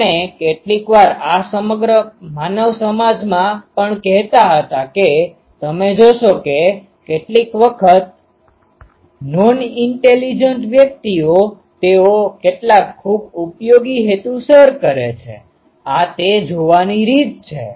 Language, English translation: Gujarati, We used to say that sometimes ah in the whole this um human community also; you will see that sometimes the non intelligent persons they serve some very useful purpose this is one of the way of looking at it